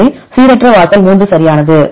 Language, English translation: Tamil, So, the random threshold is 3 right